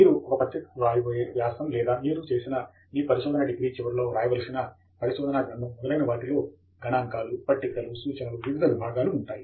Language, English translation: Telugu, We can see that a journal article that you are going to write or the thesis that you will have to write at the end of your research degree is going to contain large number of sections which will be falling in figures, tables, references, etcetera